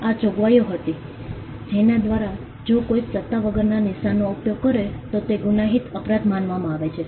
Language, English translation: Gujarati, These were the provisions by which if someone used a mark without authorization that was regarded as a criminal offence